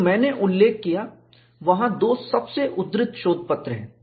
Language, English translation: Hindi, So, I mentioned that, there are 2 most quoted papers and what was the other paper